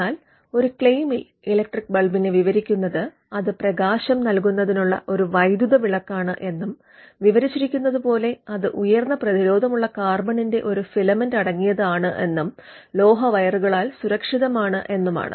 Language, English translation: Malayalam, But the way in which the electric bulb is described in a claim is as an electric lamp for giving light by incandescent consisting of a filament of carbon of high resistance made as described and secured by metallic wires as set forth